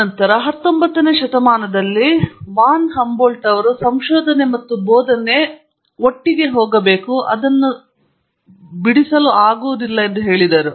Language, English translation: Kannada, Then it was Von Humboldt in the 19th century who said research and teaching have to go hand in hand